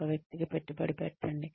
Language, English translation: Telugu, Invest in one person